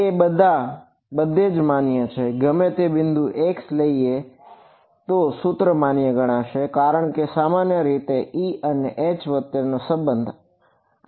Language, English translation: Gujarati, It is valid everywhere take any point x this equation should be valid because basically it is giving me the relation between E and H right